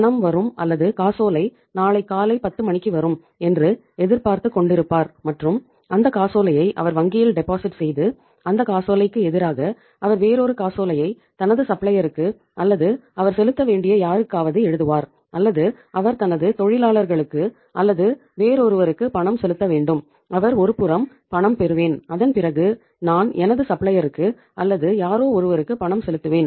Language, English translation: Tamil, So he is expecting that the payment will arrive at or the cheque will arrive at 10 am tomorrow and that same cheque he will he will deposit in the bank and against that cheque he will write another cheque to his supplier or to anybody to whom he has to make the payment or he has to make the payment to his workers or maybe to somebody else and he has made the arrangements like that I will receive the payment in the one hand and immediately after that I will make the payment to my supplier or to somebody to whom I have to make the payment